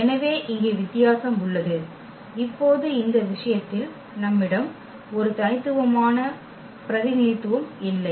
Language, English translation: Tamil, So, that was the difference here and now in this case we have a non unique representation